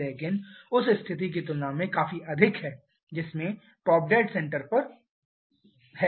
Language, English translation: Hindi, But significantly higher compared to the situation who has purchased over the top dead center